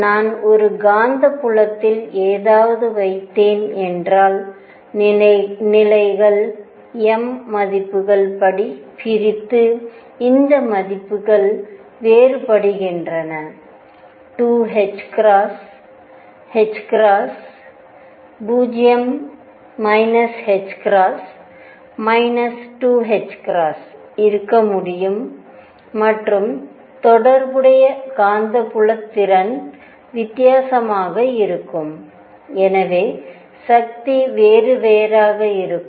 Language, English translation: Tamil, Because if I put something in a magnetic field the levels split according to the m values and these values differ it could be 2 h cross, h cross, 0 minus h cross, minus 2 h cross, and the corresponding magnetic moment is also different and therefore, forces would be different